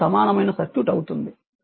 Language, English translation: Telugu, So, this is the equivalent circuit right